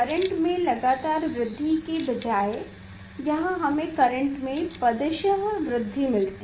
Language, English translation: Hindi, instead of monotonous increasing of the current it is giving us like step kind of increment of the current